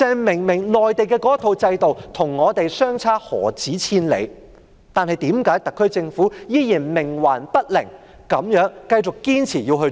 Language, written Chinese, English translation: Cantonese, 明明內地的制度與我們的制度相差何止千里，但為何特區政府仍然冥頑不靈，繼續堅持要這樣做？, The system of the Mainland and ours are obviously poles apart but why does the SAR Government remain headstrong and insist on doing so?